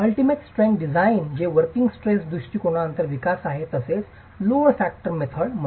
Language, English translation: Marathi, The ultimate strength design which is a development after the working stress approach, it's also referred to as the load factor method